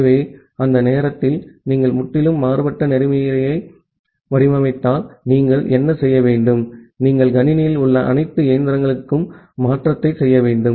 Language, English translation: Tamil, So, during that time if you design a completely different protocol, what you have to do, you have to make the change to all the machines in the system